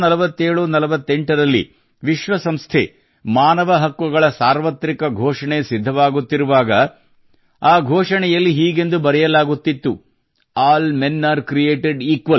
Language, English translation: Kannada, In 194748, when the Universal Declaration of UN Human Rights was being drafted, it was being inscribed in that Declaration "All Men are Created Equal"